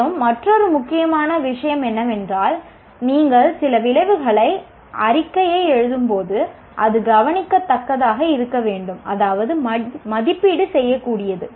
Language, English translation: Tamil, And another important one is when you write some outcome statement, it should be observable, that means and accessible